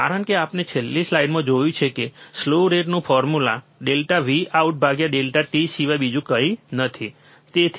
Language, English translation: Gujarati, Because we have seen in the last slide, the formula for slew rate is nothing but delta V out upon delta t, isn't it